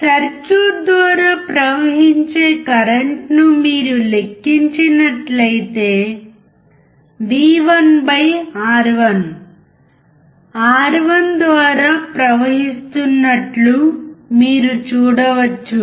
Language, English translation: Telugu, If you calculate the current flowing through the circuit, you can see that v1/R1 is flowing through R1